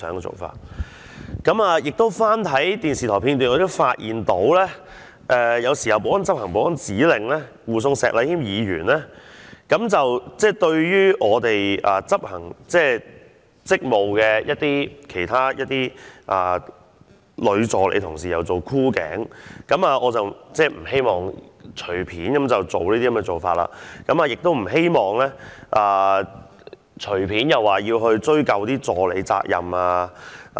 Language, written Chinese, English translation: Cantonese, 此外，我翻看電視台片段，發現保安人員在執行保安指令護送石禮謙議員時，對一些執行職務的議員女助理作出箍頸動作，我不希望會隨便作出這種做法，亦不希望隨便對議員助理追究責任。, Besides when I watched the footage from the television station I found that while the security staff were carrying out a security order to escort Mr Abraham SHEK a security officer wrapped his arm tightly around the neck of a Members female assistant who was also performing her duty . I hope that they will not make such moves casually and will not arbitrarily hold the Members personal assistants accountable